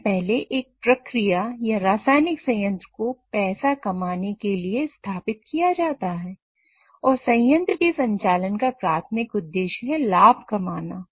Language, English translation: Hindi, So first and foremost as the process or a chemical plant has been set up to make money, then the primary objective of operating a plant is to make profit